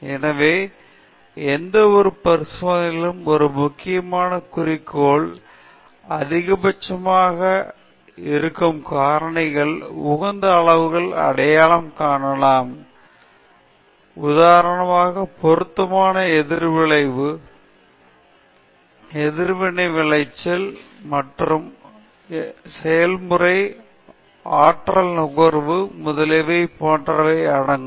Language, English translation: Tamil, So, in any experimental work, an important objective could be to identify optimum levels of the various factors which will maximize, minimize a suitable objective for example, reaction yield, conversion, process time, energy consumed, etcetera